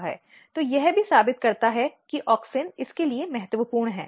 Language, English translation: Hindi, So, this also proves that auxin is important for it